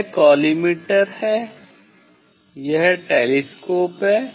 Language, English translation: Hindi, this the collimator, this is the telescope